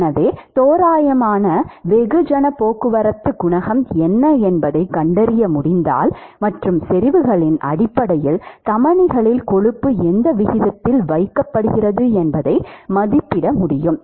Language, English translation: Tamil, So, if we can find out what is the approximate mass transport coefficient and based on the concentrations we should be able to estimate the rate at which the cholesterol is being deposited in the arteries